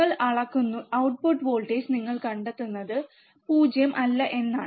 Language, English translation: Malayalam, And you measure the output voltage what you will find is that the output voltage is not 0